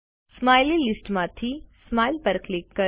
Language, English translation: Gujarati, From the Smiley list, click Smile